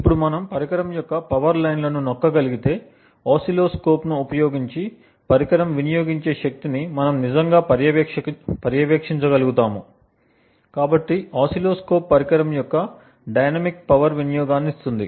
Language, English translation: Telugu, Now if we are able to tap into the power lines of the device, we would be able to actually monitor the power consumed by the device using an oscilloscope, so the oscilloscope will give us the dynamic power consumption of the device